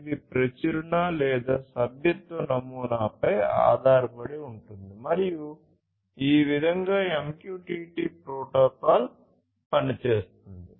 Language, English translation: Telugu, So, this is overall based on publish/subscribe model and this is how this MQTT protocol essentially works